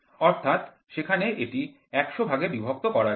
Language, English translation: Bengali, So, there it can be divided into 100 parts